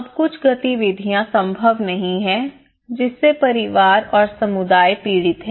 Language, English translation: Hindi, Certain activities are no longer possible and then the family and the community suffers